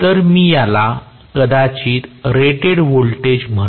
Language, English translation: Marathi, So, let me call probably this as rated voltage